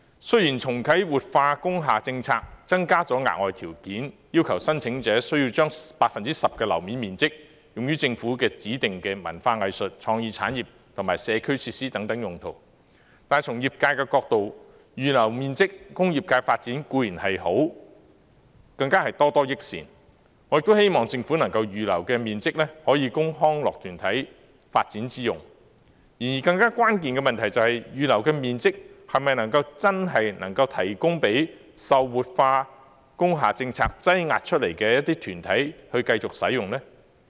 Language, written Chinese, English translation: Cantonese, 雖然重啟活化工廈政策增加了額外條件，要求申請者需要將 10% 樓面面積用於政府指定的文化藝術、創意產業和社區設施等用途，但從業界角度來看，預留面積供業界發展固然是好，更是多多益善，我亦希望政府能夠預留的面積，可供康樂團體發展之用，而更關鍵的問題是，預留的面積是否真的能夠提供給受活化工廈政策擠壓出來的團體繼續使用？, The policy of revitalizing industrial buildings will incorporate a new condition that the applicants should designate 10 % of the floor area for specific uses prescribed by the Government such as arts and culture creative industries and community facilities . From the perspective of the sectors concerned it is certainly a good thing to reserve some area for them and more is even better . I also hope that the area possibly reserved by the Government can be used for the development of recreational organizations